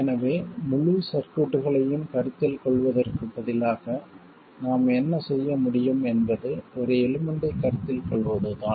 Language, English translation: Tamil, So instead of considering the whole circuit, what we can do is to just consider a single element